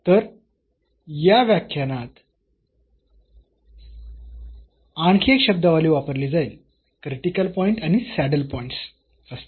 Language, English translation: Marathi, So, there will be another terminology used for used in this lecture there will be critical point and the saddle points